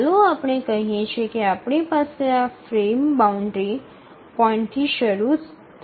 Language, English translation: Gujarati, Let's say we have this frame boundary starting at this point